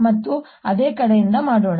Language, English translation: Kannada, let's do it again from the same side